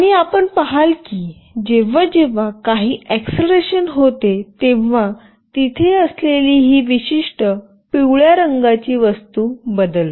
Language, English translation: Marathi, And you see that whenever there is some acceleration, this particular yellow thing that is there it changes